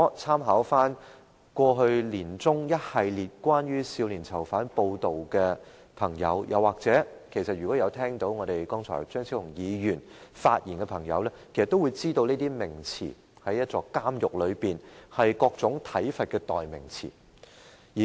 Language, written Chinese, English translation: Cantonese, 參考去年年中一系列有關少年囚犯的報道，又或張超雄議員剛才的發言，便會知道這些名詞在監獄是各種體罰的代名詞。, If Members refer to a series of media reports issued in the middle of last year concerning young adult prisoners or the earlier speech of Dr Fernando CHEUNG they will realize that they are synonyms for various forms of physical punishment in prison